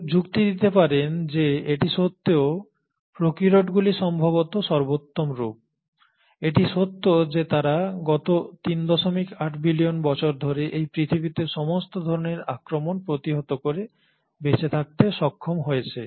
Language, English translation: Bengali, Some may argue that despite this, the prokaryotes are probably the superior forms, given the fact that they have managed to survive all kinds of onslaughts on this earth for the last 3